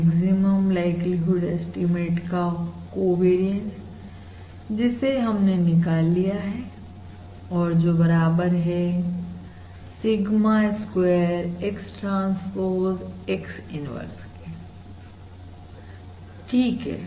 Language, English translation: Hindi, This is the covariance of the maximum likelihood, this is the covariance of the maximum likelihood estimate which we have calculated as Sigma Square X transpose, X inverse